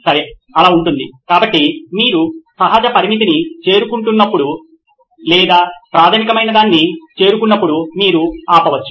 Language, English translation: Telugu, Okay, so that would be the, so when you reach a natural limit or you know reach something very fundamental you can stop